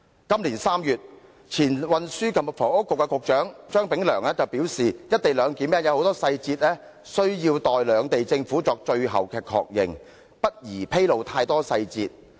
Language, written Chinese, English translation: Cantonese, 今年3月，前運輸及房屋局局長張炳良表示，"一地兩檢"有許多細節需待兩地政府作最後確認，故不宜披露太多細節。, Former Secretary for Transport and Housing said in March this year that it was inappropriate to disclose too many details of the co - location arrangement since a number of which still pending finalization by both governments